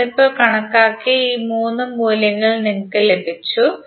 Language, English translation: Malayalam, You have got these 3 values that what we calculated just now